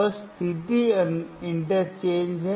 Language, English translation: Hindi, Just interchange the position